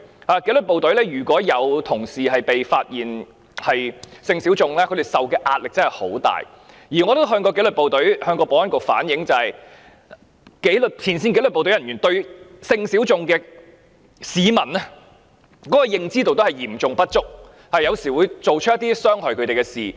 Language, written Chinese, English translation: Cantonese, 在紀律部隊，如果有同事被發現屬性小眾，他們受的壓力真的很大，而我也曾向保安局反映，前線紀律部隊人員對性小眾市民的認知嚴重不足，有時候會做出一些傷害他們的事。, I have also reflected to the Security Bureau that the frontline disciplined services officers are so seriously ignorant about people in sexual minorities that they may sometimes have done something detrimental to the latter